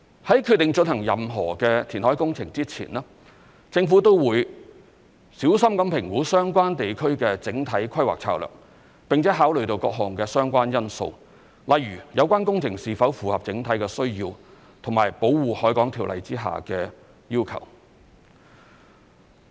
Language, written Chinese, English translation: Cantonese, 在決定進行任何填海工程前，政府都會小心評估相關地區的整體規劃策略，並考慮各項相關因素，例如有關工程是否符合整體需要和《條例》下的要求。, Before deciding to undertake any reclamation project the Government will carefully consider the overall planning strategy for the area concerned and take into account various factors concerned such as whether the project complies with our overall needs and the requirements under the Ordinance